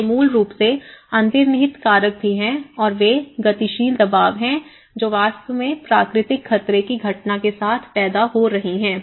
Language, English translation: Hindi, So, this is basically, there is also the underlying factors and how they actually the dynamic pressures which are actually creating with the natural hazard phenomenon